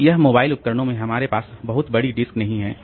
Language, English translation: Hindi, So, this is in mobile devices we don't have very large disk